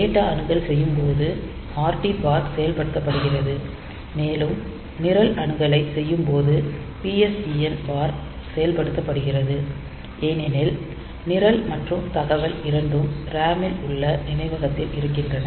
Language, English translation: Tamil, So, read bar is activated when it is doing when it is doing say data access and PSEN bar is activated when it is doing program access since, program and data both of them are residing in the memory in the RAM